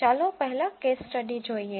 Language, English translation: Gujarati, Let us first look at the case study